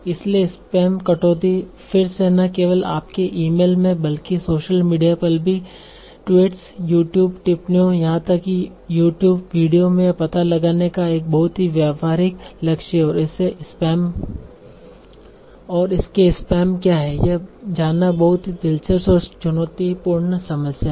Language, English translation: Hindi, Not only in your emails, also on, so with social media, even on tweets, YouTube comments, even YouTube videos, finding out what are spams is again very interesting and challenging problem